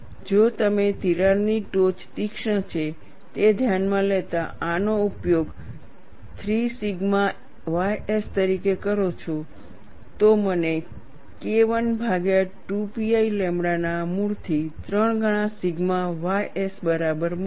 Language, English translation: Gujarati, If we use this as 3 sigma ys considering that the crack tip is sharp, I get K 1 divided by root of 2 pi lambda equal to 3 times sigma ys